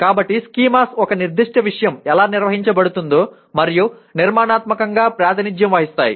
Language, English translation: Telugu, So schemas represent how a particular subject matter is organized and structured